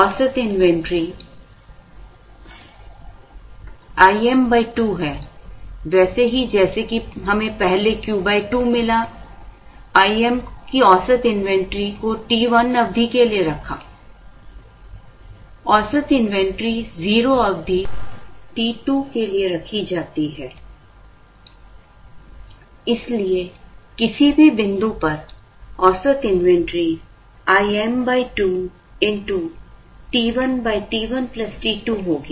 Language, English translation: Hindi, An average inventory of 0 is held for a period t 2, therefore the average inventory as such, at any point will be I m by 2 into t 1 by t 1 plus t 2